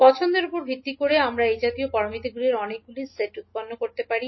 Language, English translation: Bengali, So based on the choice we can generate many sets of such parameters